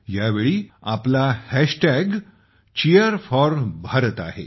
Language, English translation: Marathi, And yes, this time our hashtag is #Cheer4Bharat